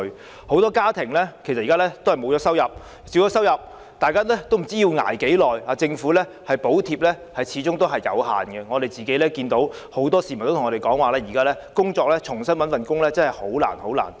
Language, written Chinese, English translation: Cantonese, 現時很多家庭已沒有收入，或是收入已減少，大家也不知要捱多長時間，而政府的補貼始終有限，很多市民也向我們表示現時重新找工作真的很難。, Nobody knows how much longer they will have to put up with this . Government subsidy is inadequate indeed . Many members of the public have told us that it is very difficult to find another job